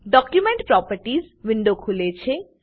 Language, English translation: Gujarati, Document Properties window opens